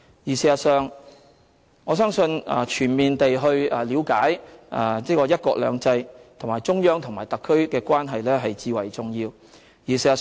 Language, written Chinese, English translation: Cantonese, 事實上，我相信全面地了解"一國兩制"，以及中央和特區的關係至為重要。, As a matter of fact I think it is of the utmost importance that we should fully understand the principle of one country two systems and the relationship between the Central Authorities and SAR